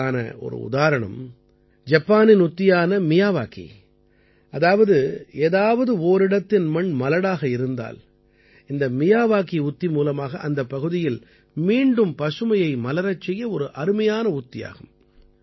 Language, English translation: Tamil, An example of this is Japan's technique Miyawaki; if the soil at some place has not been fertile, then the Miyawaki technique is a very good way to make that area green again